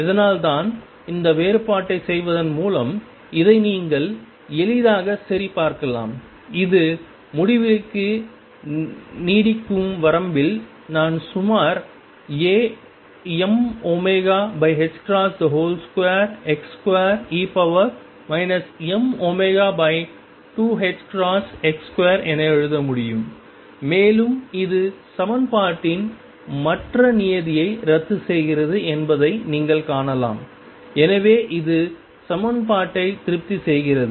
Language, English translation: Tamil, That is why you can easily check this by doing this differentiation and which in the limit of extending to infinity, I can write approximately as A m omega over h cross square x square e raised to minus m omega over 2 h cross x square and you can see that this cancels the other term in the equation therefore, it satisfies the equation